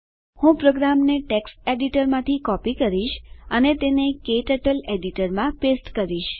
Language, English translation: Gujarati, Let me copy the program from the text editor and paste it into KTurtle editor